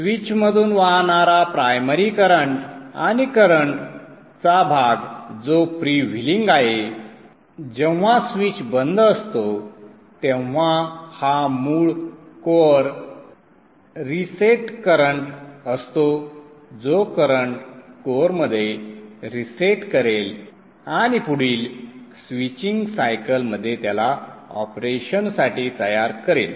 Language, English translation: Marathi, The primary current that is flowing through the switch and the portion of the current that is freewheeling when the switch is off this is actually the core reset current the current that will reset the flux with it the core and makes it ready for operation in the next switching cycle